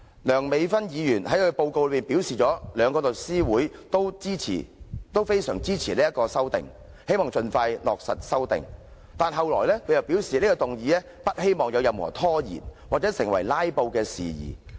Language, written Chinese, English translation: Cantonese, 梁美芬議員作出報告時表示，兩大律師組織都非常支持《2017年實習律師規則》，希望能盡快落實，但接着她卻表示不希望有任何拖延或成為"拉布"事件。, When Dr Priscilla LEUNG presented the report she said that the two legal professional bodies strongly supported the Trainee Solicitors Amendment Rules 2017 and they hoped that the Amendment Rules would be implemented as soon as possible . She also said that she did not want any procrastination or filibustering